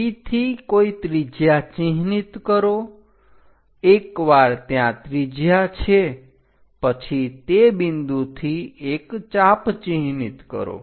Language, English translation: Gujarati, So, what we have constructed is, from P mark some radius, once radius is there from that point mark an arc